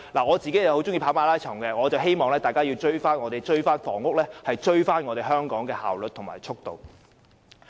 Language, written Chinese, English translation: Cantonese, 我很喜歡跑馬拉松，我希望在房屋方面可以追上香港的效率和速度。, I like running marathons very much and I hope that the efficiency and speed of housing production can be on a par with Hong Kong